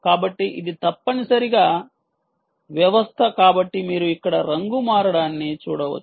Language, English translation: Telugu, so this is the ah, this is the system which essentially um, so you can see colour changing here